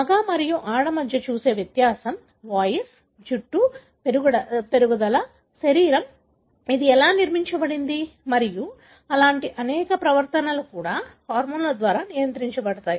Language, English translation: Telugu, Thedifference that you see between male and female, the voice, the growth of the hair, the body, how it is built and many such, even behaviour are regulated by the hormones